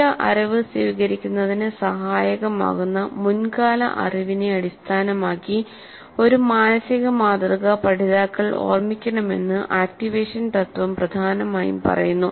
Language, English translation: Malayalam, The activation principle essentially says that the learners must recall a mental model based on their prior knowledge which would be helpful in receiving the new knowledge